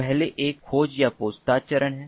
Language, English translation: Hindi, the first one is the discovery or the inquiry phase